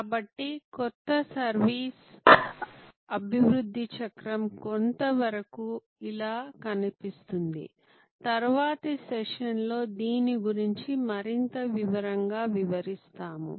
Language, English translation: Telugu, So, the new service development cycle will look somewhat like this we will get in to much more detail explanation of this in the next session